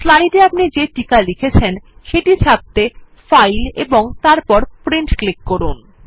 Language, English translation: Bengali, To take prints of your slides, click on File and Print